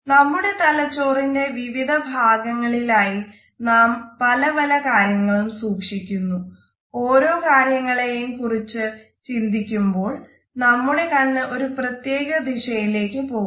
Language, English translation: Malayalam, We hold different pieces of information in different parts of our brain and usually when we are thinking about a particular top of information, our eyes will go in one particular direction